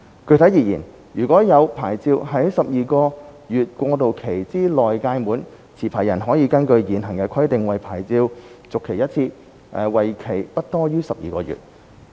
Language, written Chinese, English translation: Cantonese, 具體而言，如現有牌照在12個月過渡期之內屆滿，持牌人可根據現行規定為牌照續期一次，為期不多於12個月。, Specifically if their licences expire within the 12 - month transitional period licensees may renew their licences once for a period not exceeding 12 months based on the existing requirements